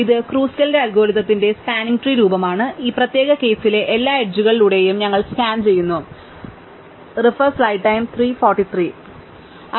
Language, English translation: Malayalam, So, this is the spanning tree form of Kruskal's algorithm, we actually scan through all the edges in this particular case and on the way we dropped a couple